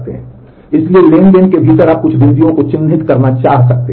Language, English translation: Hindi, So, within the transaction you may want to mark certain points